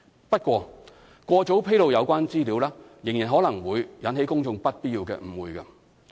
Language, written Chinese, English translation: Cantonese, 不過，過早披露有關資料仍然可能會引起公眾不必要的誤會。, However premature disclosure of the relevant information might still arouse unnecessary misunderstandings amongst the public